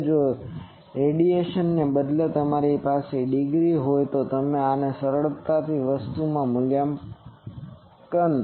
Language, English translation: Gujarati, Now if instead of radian you have degree then this you can easily convert those are thing